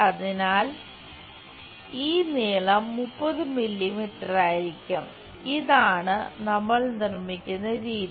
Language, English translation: Malayalam, So, this length will be 30 mm this is the way we construct